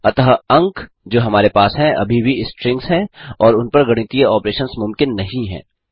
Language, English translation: Hindi, Hence the marks that we have, are still strings and mathematical operations are not possible on them